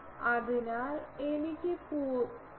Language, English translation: Malayalam, So, I can say 0